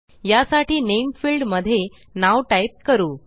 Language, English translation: Marathi, Lets type a name for this in the Name field